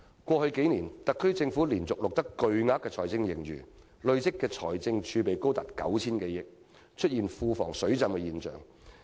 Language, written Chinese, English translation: Cantonese, 過去數年，特區政府連續錄得巨額財政盈餘，累積的財政儲備高達 9,000 多億元，出現庫房"水浸"的情況。, Over the past few years the Government has continuously accumulated huge fiscal surpluses . With the amount of accumulated fiscal reserves now standing at 900 - odd billion the public coffers are practically overflowing